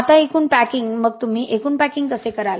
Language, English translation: Marathi, Now aggregate packing, so how do you do aggregate packing